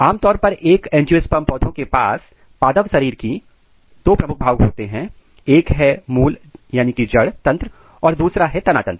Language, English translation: Hindi, Typically an angiospermic plant has two major part; one is the root system, another is the shoot system